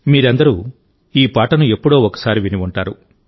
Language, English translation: Telugu, All of you must have heard this song sometime or the other